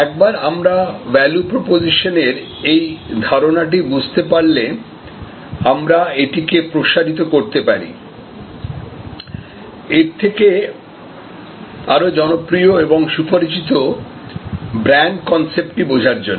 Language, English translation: Bengali, Once we understand this concept of value proposition, we can extend that to the more popular well known concept of brand